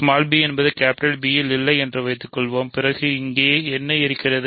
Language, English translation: Tamil, Suppose b is not in P then what do we have here